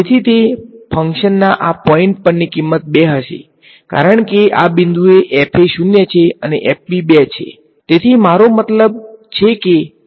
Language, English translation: Gujarati, So, it is going to be the value at this point of the function will be 2 because at this point fa is 0 and fb is 2 right so I mean 2 times fb is there